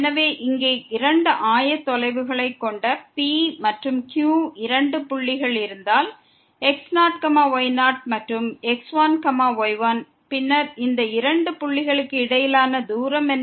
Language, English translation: Tamil, So, if we have two points P and Q having two coordinates here and ; then, what is the distance between these two points